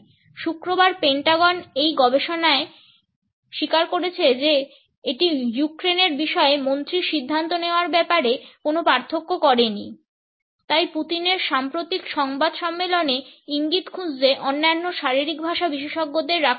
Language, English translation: Bengali, On Friday, the Pentagon acknowledged such research which says it has not made it difference need minister’s decision making on Ukraine So, that has not kept other body language experts for looking for clues in Putin’s must recent press conference